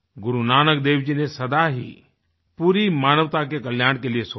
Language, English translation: Hindi, Guru Nanak Dev Ji always envisaged the welfare of entire humanity